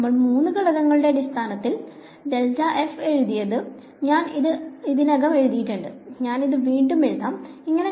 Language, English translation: Malayalam, So, we have written grad f in terms of the three components and I have already written this, I will write it again this is how I will write it